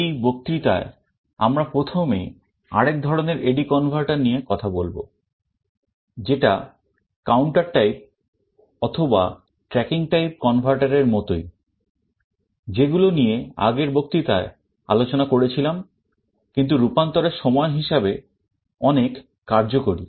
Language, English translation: Bengali, In this lecture we shall be first talking about another kind of A/D converter, which is similar to counter type or tracking type converter that we discussed in the last lecture, but is much more efficient in terms of the conversion time